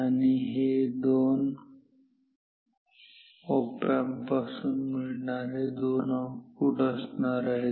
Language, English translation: Marathi, And these two will be 2 outputs from these 2 op amps